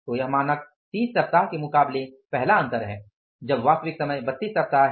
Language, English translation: Hindi, So, this is a first difference against the standard of 30 actual time is 32 weeks